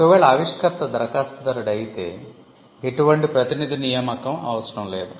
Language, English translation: Telugu, In cases where the inventor is not the applicant, there is a need for assignment